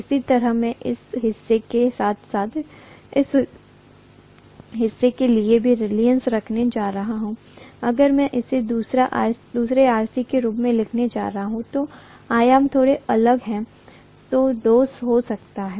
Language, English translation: Hindi, Similarly, I am going to have the reluctance corresponding to this portion as well as this portion which I am going to write this as another RC maybe dash if the dimensions are slightly different, okay